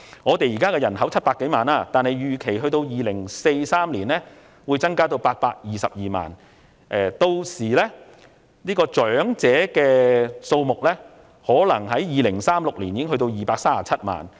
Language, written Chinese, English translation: Cantonese, 香港現時人口約700多萬，預期至2043年時，會增至822萬人；至2036年，長者數目或會多達237萬人。, Hong Kongs current population of about 7 million is expected to increase to 8.22 million by 2043 and the elderly population may possibly reach 2.37 million by 2036